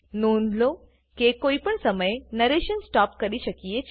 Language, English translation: Gujarati, Please note that one can stop the narration at any time